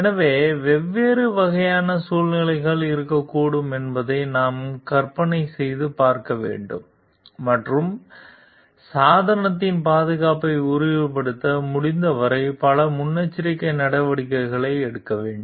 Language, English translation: Tamil, So, we have to imagine what kind of different situations could be there and take as many precautions as possible to ensure the safety of the device